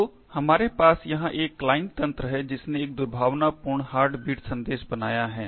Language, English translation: Hindi, So, we have a client system over here which has created a malicious heartbeat message